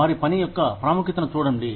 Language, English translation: Telugu, See the importance of their work